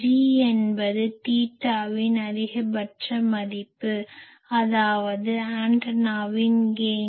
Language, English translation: Tamil, G is the maximum value of G theta that means the gain of the antenna